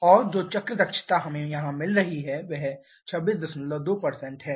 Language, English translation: Hindi, And the cycle efficiency that we are getting here is 26